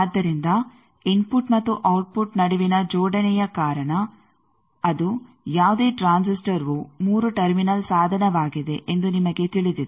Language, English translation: Kannada, So, because of the coupling between the input and output you know that either it is 3 terminal device any transistor